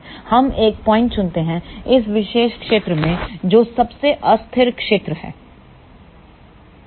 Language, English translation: Hindi, We choose a point in this particular region which is most unstable region